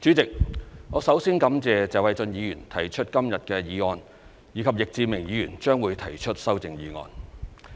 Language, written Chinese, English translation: Cantonese, 主席，我首先感謝謝偉俊議員提出今天的議案，以及易志明議員提出的修正案。, President I would like to thank Mr Paul TSE first for proposing the motion today and Mr Frankie YICK for proposing his amendment